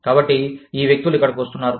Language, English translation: Telugu, So, these people are coming here